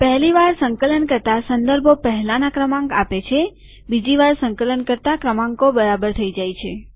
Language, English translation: Gujarati, ON first compilation the reference gives the previous number, on second compilation the numbers become correct